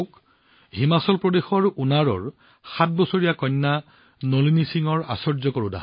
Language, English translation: Assamese, Look at the wonder of Nalini Singh, a 7yearold daughter from Una, Himachal Pradesh